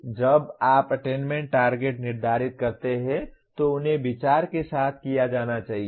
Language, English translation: Hindi, Now when you set the attainment targets, they should be done with consideration